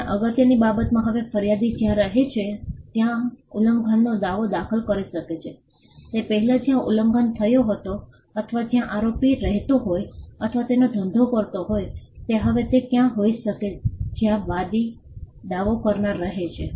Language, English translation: Gujarati, And importantly now an infringement suit can be filed where the plaintiff resides so, earlier it had to be where the infringement occurred or where the defendant resided or carried his business now it could be anywhere where the plaintiff resides